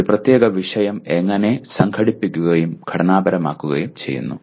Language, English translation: Malayalam, How a particular subject matter is organized and structured